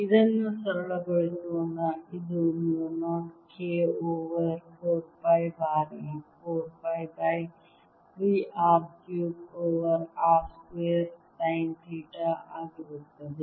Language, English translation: Kannada, let us simplify this: it'll be mu naught k over four pi times four pi by three r cubed over r square, sine theta